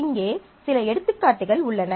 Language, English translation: Tamil, So, here are some examples worked out